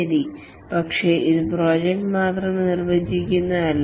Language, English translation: Malayalam, But then it's not defined by the project alone